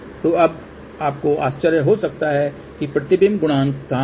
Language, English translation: Hindi, Now, let us see where is reflection coefficient